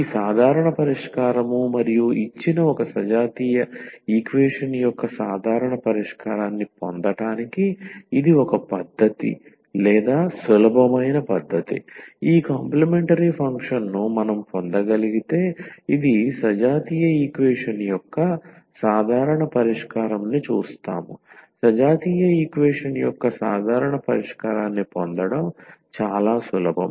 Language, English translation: Telugu, So, this general solution and this is one method or the easy method to get the general solution of the of the given non homogeneous equation, that if we can get this complimentary function which is the general solution of the homogenous equation and we will see that this is very easy to get the general solution of the homogenous equation